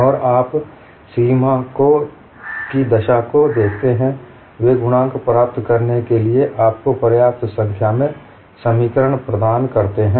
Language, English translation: Hindi, And you look at the boundary conditions, they provide you sufficient number of equations to get the coefficients